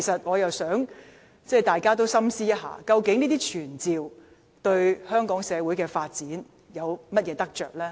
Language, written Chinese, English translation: Cantonese, 我希望大家深思，究竟傳召議案對香港社會的發展有何得益？, I hope that fellow Members will ponder if such motions will benefit the development of the Hong Kong community